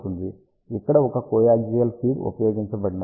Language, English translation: Telugu, Here a coaxial feed is used